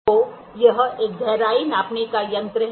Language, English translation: Hindi, So, this is a depth gauge